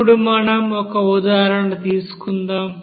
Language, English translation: Telugu, Now let us do an example for this theory